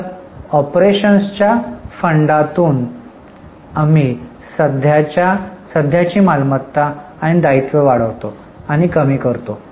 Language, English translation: Marathi, So, from funds from operations, we add and reduce all decreases and increases of current assets and liabilities